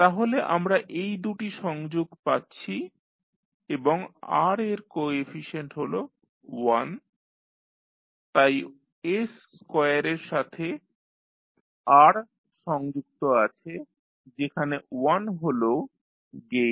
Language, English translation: Bengali, So, we get these two connections and r is having 1 as coefficient so r is connected to s square y with 1 as the gain